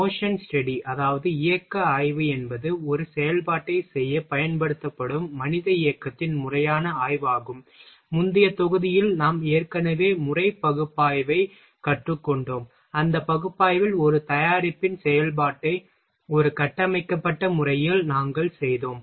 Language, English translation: Tamil, Motion study is a systematic study of the human motion used to perform an operation, in previous module we have already learnt method analysis, in that analysis what we did we performed operation of a product in a structured manner